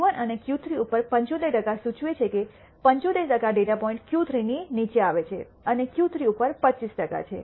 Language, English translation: Gujarati, 75 percent above Q 1 and Q 3 implies that 75 percent of the data points fall below Q 3 and 25 percent above Q 3